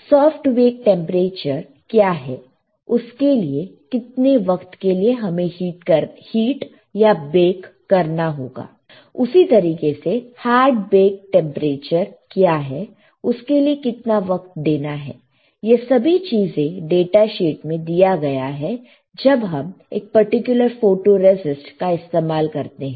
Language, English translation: Hindi, What is the soft bake temperature; how much time you have to heat or bake, same way; what is a hard baked temperature; how much time you have to make everything is given in the data sheet when we use a particular photoresist